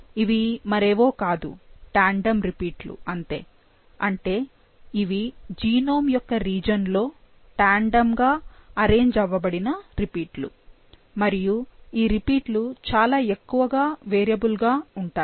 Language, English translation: Telugu, So, these are nothing but, tandem repeats, repeats which are tandemly arranged in a region of the genome and these repeats are highly variable